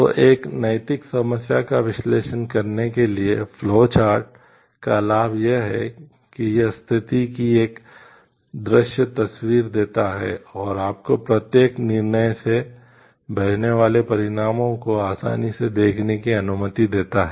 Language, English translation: Hindi, So, the advantage of flow chart to analyze an ethical problem is that it gives a visual picture of the situation and allows you to readily see the consequences that flows from each decision